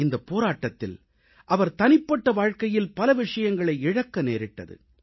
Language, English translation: Tamil, In this endeavour, he stood to lose a lot on his personal front